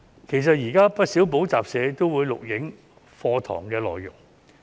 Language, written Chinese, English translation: Cantonese, 其實，現時有不少補習社也會錄影課堂內容。, In fact many tutorial centres also film their lessons